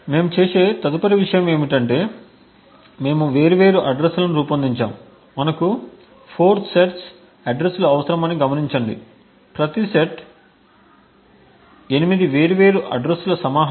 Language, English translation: Telugu, The next thing we do is we craft different addresses, note that we require 4 sets of addresses, each is a collection of 8 different addresses